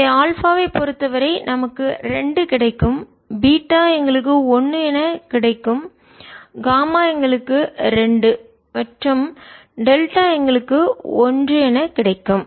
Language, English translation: Tamil, so for alpha will get two, beta will get one, gamma will get two and delta will get